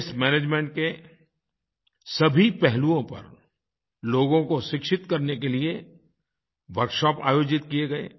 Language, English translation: Hindi, Many Workshops were organized to inform people on the entire aspects of waste management